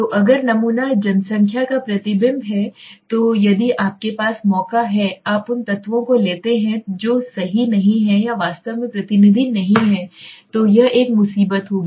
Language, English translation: Hindi, So if sample is the reflection of the population rights so what should it have so if you by chance you take those elements which are not correct or not truly representative then it will be a problem